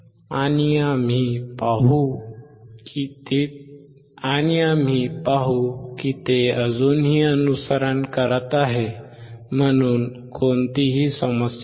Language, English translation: Marathi, And we will see that it is still following there is no problem